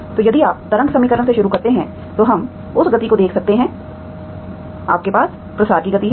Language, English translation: Hindi, So if you start with the wave equation, we can see that speed of, you have a speed of propagation